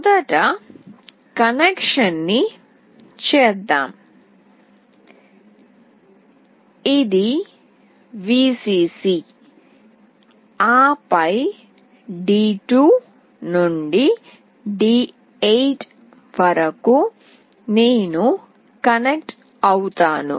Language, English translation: Telugu, Let me make the connection first, this is Vcc, and then from d2 to d8 I will be connecting